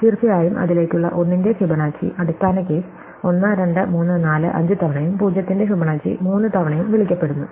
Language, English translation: Malayalam, And of course, Fibonacci of 1 towards it is base case have been call several times: 1, 2, 3, 4, 5 times and Fibonacci of 0 has been called 3 times